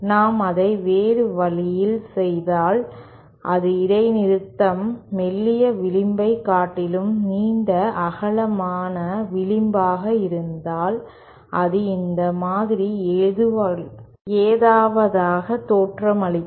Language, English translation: Tamil, If we do it in the other way, that is if the discontinuity is a longer broader edge, rather than the thinner edge, then it will look something like this